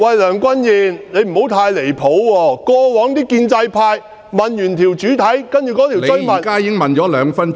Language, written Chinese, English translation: Cantonese, 梁君彥，你不要太離譜，過往建制派議員在主體質詢後提出補充質詢......, Dont go too far Andrew LEUNG . When pro - establishment Members raised their supplementary questions after the main questions